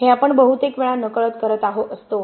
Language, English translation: Marathi, We do this unknowingly most of the time